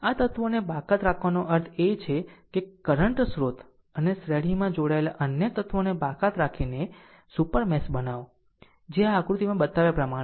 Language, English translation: Gujarati, Exclude this elements means that we create a super mesh by excluding the current source and other elements connected in series which it as shown in figure this, right